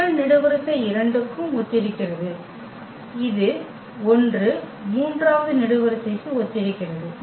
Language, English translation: Tamil, The first column this is also corresponding to 2 and this corresponds to 1 the third column